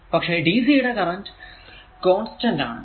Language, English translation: Malayalam, So, but dc it has current is constant so, figure 1